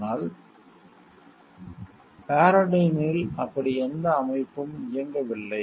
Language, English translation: Tamil, But Paradyne did not have any such system running